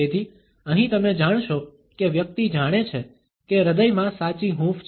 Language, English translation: Gujarati, So, here you would find that the person knows that there is a genuine warmth in the heart